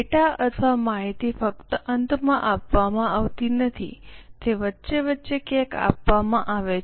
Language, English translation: Gujarati, The data or the information is not given just in the end, it is given somewhere in between